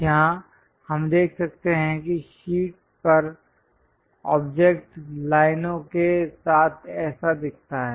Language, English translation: Hindi, Here, we can see that the object on the sheet looks like that with lines